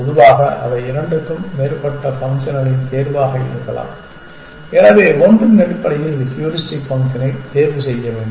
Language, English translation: Tamil, may be a choice of more than two functions, so one has to choose the heuristic function essentially